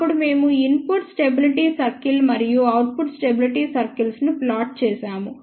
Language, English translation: Telugu, Then, we had plotted input stability circle and output stability circle